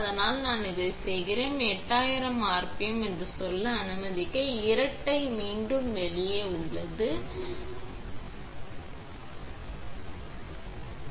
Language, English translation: Tamil, But I am doing this one here is out double back to let us say 8000 rpm and you repeat